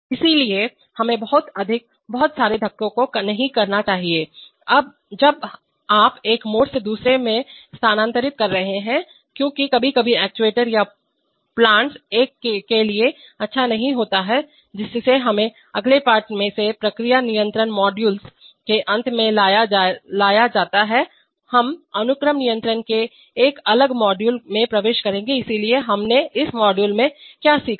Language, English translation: Hindi, So we should not have too much, too many bumps, when you are transferring the, from one mode to another because that sometimes is not good for actuators or plants, so that brings us to the end of the process control module from the next lesson, we will enter a different module of sequence control, so what did we learn in this module